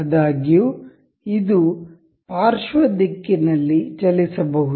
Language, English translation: Kannada, However, this can move in the lateral direction